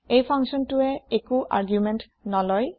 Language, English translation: Assamese, This function does not take any arguments